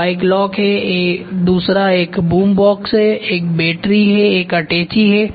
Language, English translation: Hindi, One is bike lock, the other one is boom box, the other one is battery, the other one is briefcase